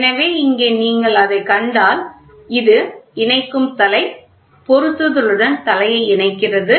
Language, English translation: Tamil, So, here if you see that so, this is the connecting head; connecting head connecting head to fitting